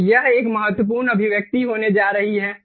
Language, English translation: Hindi, so this is going to be an important expression